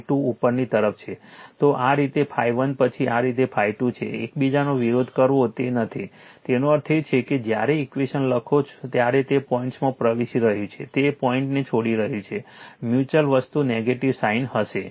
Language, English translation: Gujarati, So, phi 1 this way then phi 2 is this way that is there, opposing each other is not it; that means, your when you write the equation it is entering the dot it is leaving the dot that mutual thing will be negative sign right